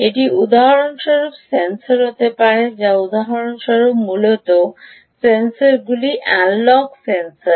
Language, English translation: Bengali, it could be sensors, for instance, right or ah, mainly sensors, analogue sensors, for instance